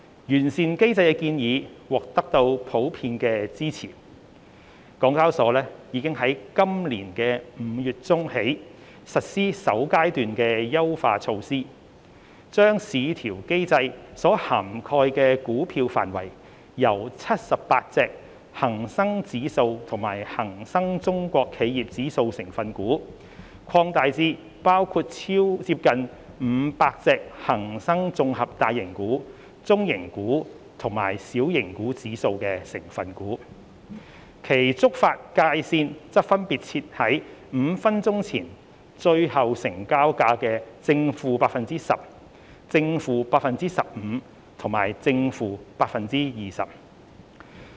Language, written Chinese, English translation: Cantonese, 完善機制的建議獲普遍支持，港交所已在今年5月中起實施首階段優化措施，將市調機制所涵蓋股票的範圍由78隻恒生指數及恒生中國企業指數成分股，擴大至包括接近500隻恒生綜合大型股、中型股及小型股指數成分股，其觸發界線則分別設定為5分鐘前最後成交價的 ±10%、±15% 和 ±20%。, In light of the general support from the market on VCM enhancement HKEx has implemented the first phase of enhancement measures since mid - May this year by expanding the coverage of VCM from 78 constituent stocks of the Hang Seng Index and Hang Seng China Enterprises Index to almost 500 constituent stocks of Hang Seng Composite LargeCap MidCap and SmallCap Indexes with triggering thresholds respectively set at ±10 % ±15 % and ±20 % to the last traded price five minutes ago